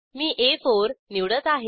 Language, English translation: Marathi, I will select A4